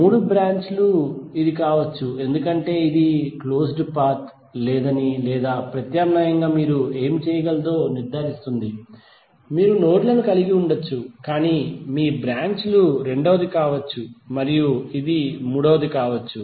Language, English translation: Telugu, The three branches can be this because it make sure that there is no closed path or alternatively what you can do, you can have the nodes but your branches can be one that is second and it can be third